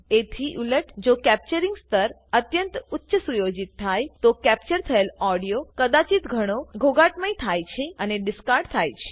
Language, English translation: Gujarati, Conversely, if the capturing level is set too high, the captured audio may be too loud and distorted